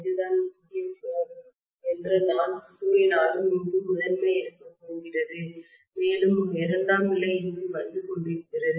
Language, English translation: Tamil, Even if I am saying that this is what is my core and I am going to have probably the primary here and one more secondary coming up here and so on